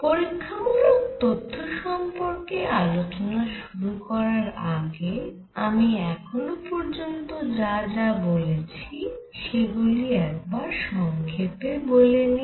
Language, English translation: Bengali, Before we start our analysis on experimental facts, let us just summarize what we have learnt so far